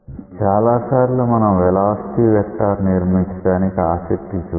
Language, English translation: Telugu, Many times we are interested to construct the velocity vector